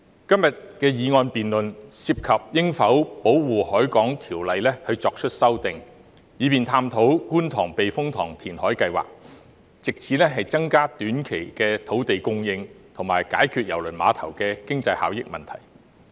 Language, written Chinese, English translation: Cantonese, 今天的議案辯論涉及應否對《條例》作出修訂，以便探討觀塘避風塘填海計劃，藉此增加短期土地供應，以及解決郵輪碼頭的經濟效益問題。, Todays motion debate concerns whether the Ordinance should be amended so as to explore the Kwun Tong Typhoon Shelter reclamation project as a means of increasing short - term land supply and resolving the problem about the economic benefits of the cruise terminal